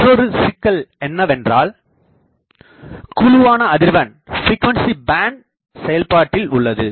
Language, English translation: Tamil, Another problem is the frequency band of operation